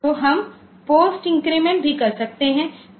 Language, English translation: Hindi, So, we can have this data indirect with post increment